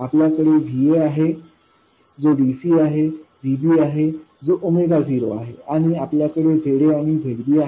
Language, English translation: Marathi, We have VA which is DC and VB which is at Omega 0 and we have Z A and ZB and ZB